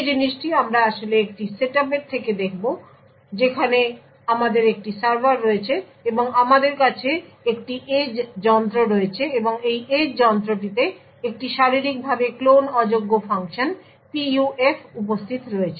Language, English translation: Bengali, So the thing what we will be actually looking at a setup where we have a server over here and we have an edge device and this edge device has a physically unclonable function that is PUF present in it